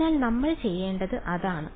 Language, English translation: Malayalam, So, that is what we have to do